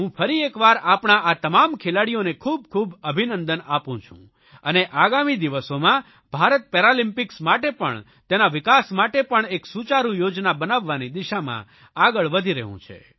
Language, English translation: Gujarati, I once again congratulate all our Paralympic athletes and India is progressing in the direction of preparing an effective plan for developing our athletes and also the facilities for the Paralympics